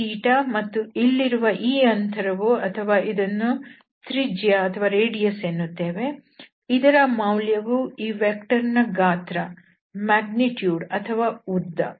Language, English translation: Kannada, And this is theta, then this distance here or the radius we call it so this is given by the length of this vector or the magnitude of this vector